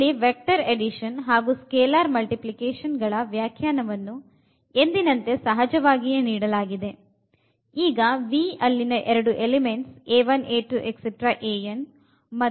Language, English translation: Kannada, So, here the vector addition and this is scalar multiplication is defined as usual